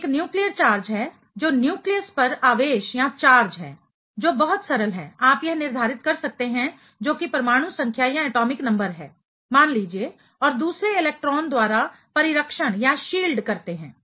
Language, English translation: Hindi, One is nuclear charge, what is the charge at the nucleus that is very simple, you can determine that is the atomic number let us say and shielding by other electron